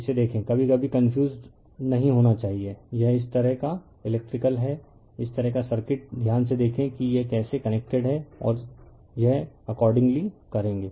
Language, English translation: Hindi, Look at that, sometimes you should not be confused looking is such kind of electrical, such kind of circuit see carefully how this is connected and accordingly you will do it